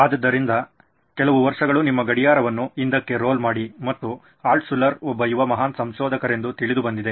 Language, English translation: Kannada, So about roll the clock few years and young Altshuller was known to be a great inventor